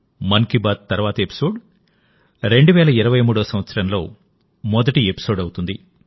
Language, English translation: Telugu, The next episode of 'Mann Ki Baat' will be the first episode of the year 2023